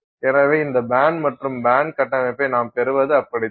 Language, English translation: Tamil, So, that is how you get this bands and band structure